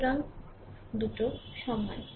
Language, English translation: Bengali, 4 is equal to 3